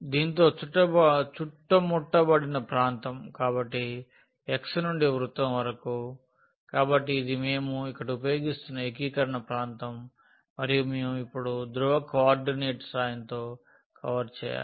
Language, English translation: Telugu, And the region enclosed by this one, so from x to the circle, so this is the region of integration which we are using here and we have to now cover with the help of the polar coordinate